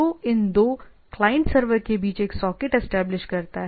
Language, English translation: Hindi, And that establishes a socket between these two client server client and server